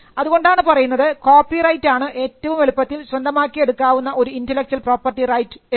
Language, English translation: Malayalam, So, that makes copyright one of the easiest intellectual property rights to create and to own